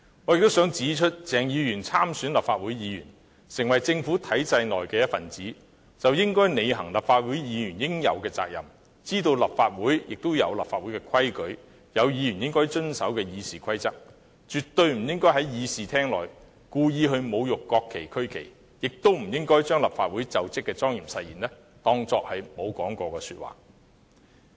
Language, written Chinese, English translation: Cantonese, 我亦想指出，鄭議員參選立法會議員，成為政府體制內的一分子，便應履行立法會議員應有的責任，知道立法會有立法會的規矩，亦有議員應遵守的《議事規則》，絕不應在議事廳內故意侮辱國旗和區旗，亦不應把立法會就職的莊嚴誓言當作沒有說過。, I would also like to point out that upon assumption of office as a Legislative Council Member Dr CHENG has become a member of the government structure . Hence he has the obligation to discharge the responsibilities of a Legislative Council Member accept the fact that there are rules of the Legislative Council as well as the Rules of Procedure by which Members should abide . He should absolutely not deliberately desecrate the national flag and regional flag in the Chamber